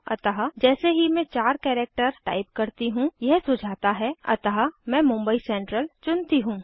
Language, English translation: Hindi, So the moment i type 4 characters it suggest so i want to choose mumbai central SURA let me type 4 characters and wait for it